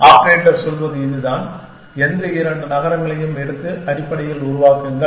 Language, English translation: Tamil, This is the operator says, the take any two cities and generate essentially